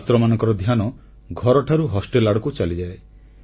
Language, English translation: Odia, The attention of students steers from home to hostel